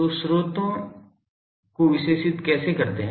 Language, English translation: Hindi, So, how do characterise sources